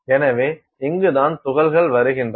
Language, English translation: Tamil, So, this is where the particles are coming